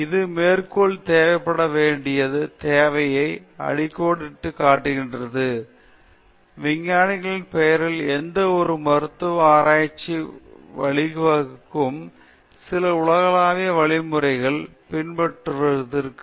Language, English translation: Tamil, This, underlined the need for postulating, these trials actually underlined need for postulating certain universal codes of conduct that would guide any further medical research in the name of science